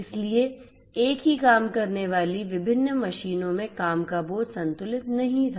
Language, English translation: Hindi, So, the work load across the different machines doing the same thing was not balanced